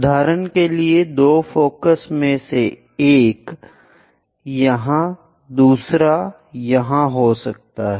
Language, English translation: Hindi, For example, one of the foci here the second foci might be there